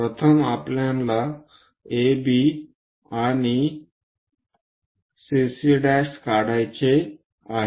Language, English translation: Marathi, First, we have to draw AB and CC prime also we have to draw